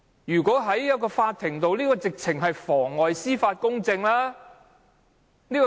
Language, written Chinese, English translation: Cantonese, 如果在法庭，他的行為是妨礙司法公正。, In court his act would amount to perverting the course of justice